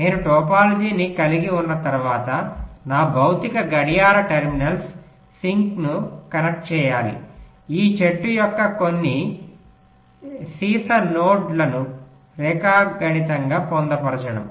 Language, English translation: Telugu, ah, once i have the topology, i have to actually connect my physical clock terminals, the sinks, to some lead node of this tree, that is the geometrically embedding